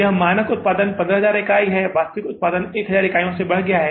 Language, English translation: Hindi, That is, standard production was 15,000 units, actual production is increased by 1,000 units